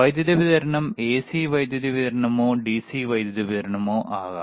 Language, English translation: Malayalam, So, power supply can be AC power supply or DC power supply